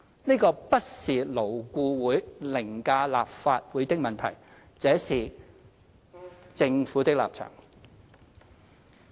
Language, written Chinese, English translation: Cantonese, 這個不是勞顧會凌駕立法會的問題，這是政府的立場。, This is not a question of LAB overriding the Legislative Council . This is the stance of the Government